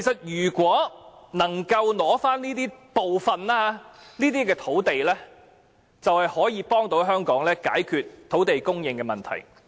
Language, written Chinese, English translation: Cantonese, 如果能夠取回部分土地，就可以幫助香港解決土地供應的問題。, The resumption of some of such sites will help resolve the problem of land supply